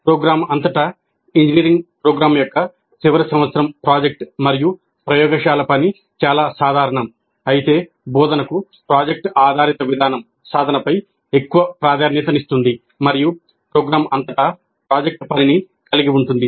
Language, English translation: Telugu, While the final year project of an engineering program and laboratory work throughout the program are quite common, project based approach to instruction places much greater emphasis on practice and incorporates project work throughout the program